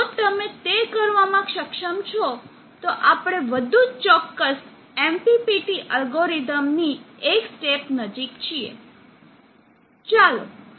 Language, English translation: Gujarati, If you are able to do that, then we are one step closer to much more accurate MPPT algorithm